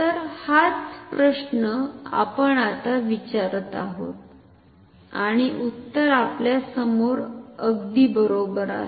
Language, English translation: Marathi, So, this is the question we are asking now and the answer is actually right in front of us ok